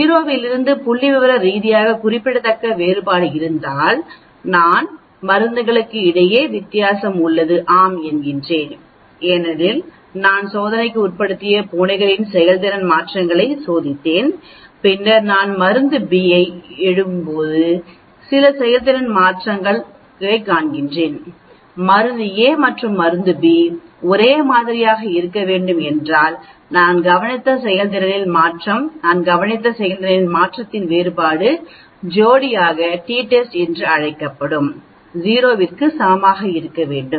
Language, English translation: Tamil, If there is a statistically significant difference away from 0 then I can say yes, drug A is different from drug B because, I have used the same volunteer cats and I am testing drug a seeing some performance change, then I am testing drug B seeing some performance change, if drug A and drug B have to be same then the performance change we observed, the difference in performance change we observed should be equal to 0 that is called the paired t test